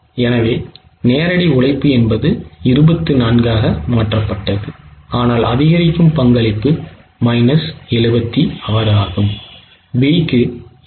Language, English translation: Tamil, So, what happens is direct labor shifted is 24 but the incremental contribution is minus 76